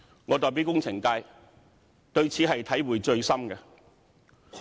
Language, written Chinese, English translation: Cantonese, 我代表工程界，對此體會最深。, As the representative of the engineering sector I have very strong feelings